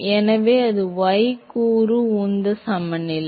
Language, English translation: Tamil, So, that is the y component momentum balance